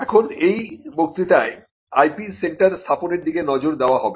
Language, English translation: Bengali, Now, in this lecture we will look at setting up IP centres